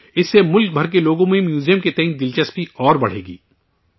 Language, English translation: Urdu, This will enhance interest in the museum among people all over the country